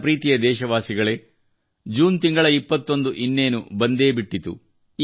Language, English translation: Kannada, My dear countrymen, 21st June is also round the corner